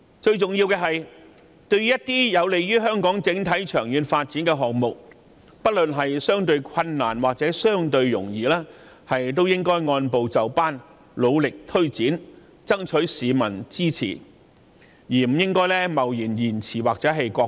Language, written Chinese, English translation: Cantonese, 最重要的是，凡是有利香港整體長遠發展的項目，不論難易，政府都應按部就班地努力推展，爭取市民支持，而不應貿然押後或擱置。, Most important of all for any projects that are conducive to the long - term development of Hong Kong the Government should disregarding the difficulties involved progressively plough ahead and seek public support . It should not hastily postpone or shelve the projects